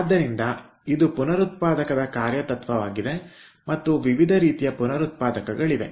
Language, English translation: Kannada, so this is the working principle of regenerator and there are different kinds of regenerator